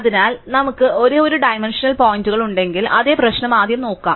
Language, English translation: Malayalam, So, let us see first the same problem if we had only one dimensional points